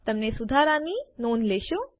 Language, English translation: Gujarati, You will notice the correction